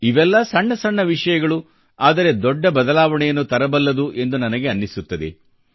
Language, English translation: Kannada, I feel there are many little things that can usher in a big change